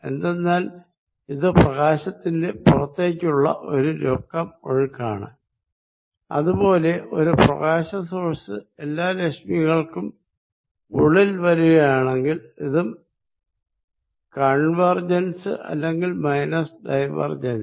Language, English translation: Malayalam, Because, this is a net flow light from here, similarly if I source of light in which everything is coming in there is a net flow of light in this is also divergent or negative of divergent convergent